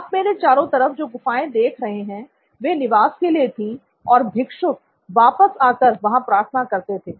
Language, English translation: Hindi, All you see around me are caves, which were used for living and they would come back and pray